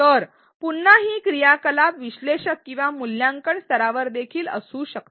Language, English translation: Marathi, So, again this activity can be at an analyze or even at an evaluate level